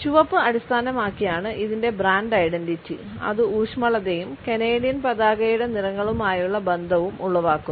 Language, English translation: Malayalam, Its brand identity is based on red which evokes feelings of warmth as well as its associations with the colors of the Canadian flag